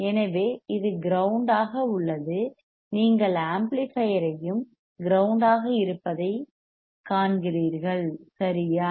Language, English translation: Tamil, So, this is grounded you see amplifier is also grounded right output amplifier